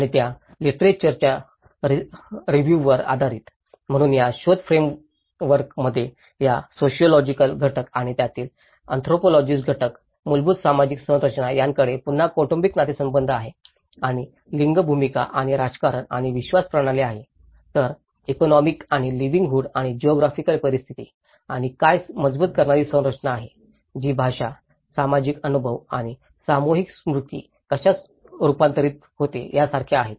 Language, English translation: Marathi, And based on that literature review, so this investigative framework looks at this the sociological component and the anthropological component of it, the fundamental social structures which have again the family kinship and the gender roles and politics and belief system whereas, the economics and livelihood and geographical conditions and what are the reinforcing structures which like language, shared experiences and the collective memory how it gets transformed